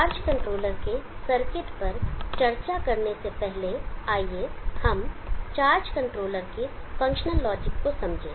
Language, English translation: Hindi, Before we discuss the circuit of the charge controller let us understand the functional logic of the charge controller